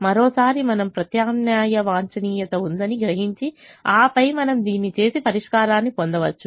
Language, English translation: Telugu, and once again you realize that there is the alternative optimum and then we can do this and get the solution